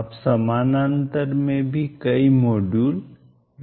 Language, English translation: Hindi, You can also have many modules in parallel